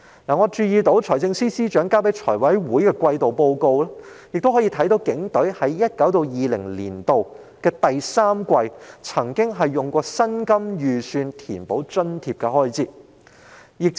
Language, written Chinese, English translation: Cantonese, 我注意到在財政司司長提交財務委員會的季度報告中，載述警隊在 2019-2020 年度第三季，曾使用薪金預算填補津貼開支。, I notice that according to a quarterly report submitted by the Financial Secretary to the Finance Committee in the third quarter of 2019 - 2020 the Police Force has met its allowance expenses with the salary budget